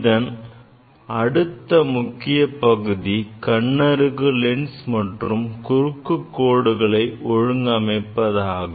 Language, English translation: Tamil, The next important part is the adjustment of eyepiece and cross wire